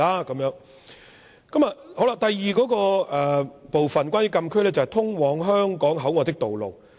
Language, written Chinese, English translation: Cantonese, 關於禁區的第二部分，是通往香港口岸的道路。, The second part of the closed area is the access roads to Hong Kong Port